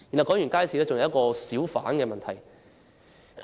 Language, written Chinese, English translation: Cantonese, 除了街市，還有小販的問題。, Besides markets there are hawker problems